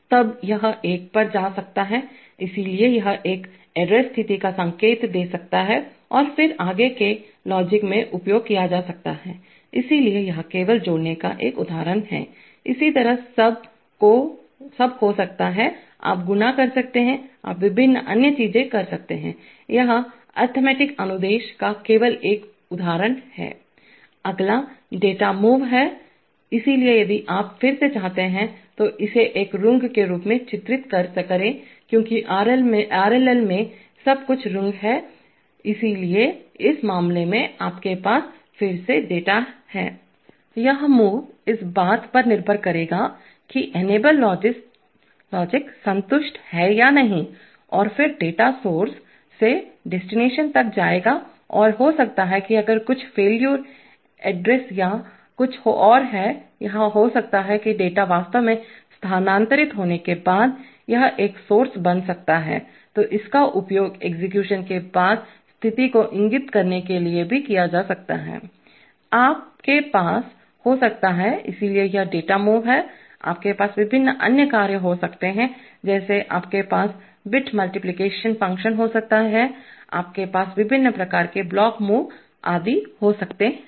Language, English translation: Hindi, Then it could go one, so it can indicate an error condition and then be used in the further logic, so this is just an example of add, similarly you could have sub, you could have multiplied, you could have various other things, this is just one example of the, of an arithmetic instruction, next is data move, so if you want to again you, depict it as a rung because in the RLL everything is the rung, so in this case you have again the data move will take place depending on whether the enabling logic is satisfied or not and then data will move from source to destination and maybe if there is some address failure or something then or maybe after the data has moved actually, this can become one source, so this can also be used for indicating condition after execution, you can have, so this is the data move, you can have various other functions like, you can have a bit manipulation functions, you can have various kinds of block moves etc